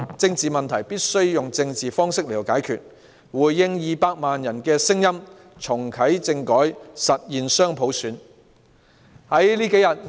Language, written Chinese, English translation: Cantonese, 政治問題必須以政治方式解決，政府應回應200萬人的聲音，重啟政改，實現雙普選。, Political issues must be resolved politically and the Government should respond to the voices of 2 million people reactivate constitutional reform and implement dual universal suffrage